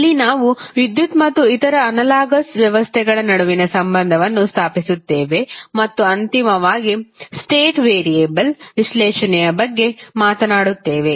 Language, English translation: Kannada, So, we will establish the analogy between the electricity and other analogous systems and finally talk about the state variable analysis